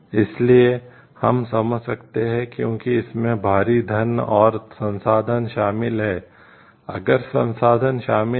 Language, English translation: Hindi, So, we can understand because it involves huge money and resources so, if resources are involved